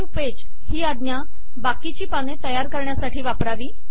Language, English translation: Marathi, New page command, takes the rest of the document to a new page